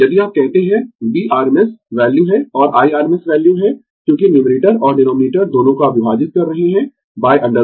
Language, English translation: Hindi, If you say V is the rms value, and I is the rms value, because both numerator and denominator you are dividing by root 2